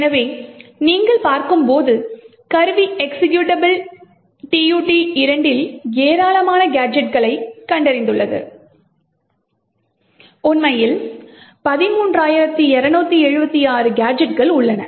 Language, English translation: Tamil, So, as you see the tool has found a large number of gadgets present in the executable tutorial 2 and in fact there are like 13,276 gadgets that are present